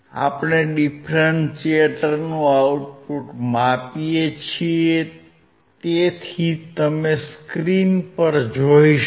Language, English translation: Gujarati, We are measuring the output of the differentiator so, as you can see on the screen right